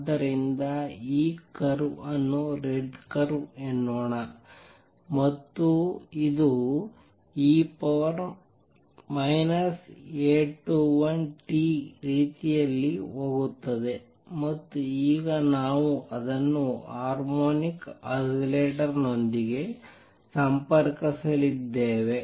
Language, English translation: Kannada, So, let me make this curve is red curve is going to be like e raise to minus A 21 t and now we will we are going to connect it with them harmonic oscillator